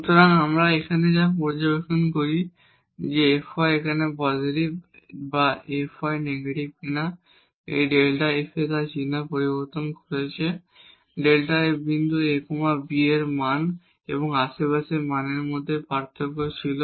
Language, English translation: Bengali, So, what we observe here that whether the f y is positive here or f y is negative this delta f is changing its sign, the delta f was the difference between the value at the point a b and the value in the neighborhood